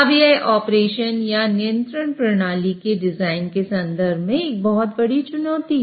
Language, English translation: Hindi, Now this poses a very big challenge in terms of operation or even design of a control system